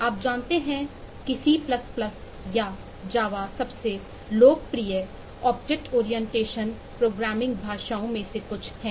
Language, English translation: Hindi, you aware that c plus, plus or java are some of the most popular object oriented programming languages